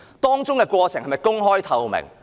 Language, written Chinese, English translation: Cantonese, 當中的過程是否公開、透明？, Will the process be open and transparent?